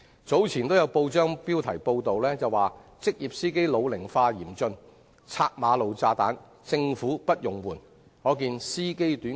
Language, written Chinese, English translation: Cantonese, 早前有報章報道以"職業司機老齡化嚴峻拆馬路炸彈政府不容緩"為題，可見職業司機人手短缺。, Recently there was a press report entitled Serious ageing of professional drivers―Government clearance of road bombs brooks no delay highlighting the shortage of professional drivers